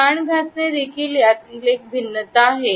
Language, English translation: Marathi, The ear rub is also a variation of it